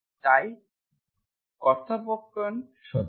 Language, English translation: Bengali, So simply converse is also true